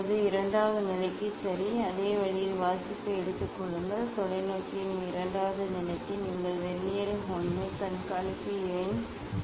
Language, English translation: Tamil, Now, take the reading taking reading in same way for the second position ok, for the second position of the telescope you take the reading from Vernier 1 observation number 1